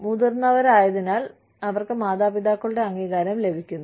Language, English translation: Malayalam, Being grown up, they get the approval of the parents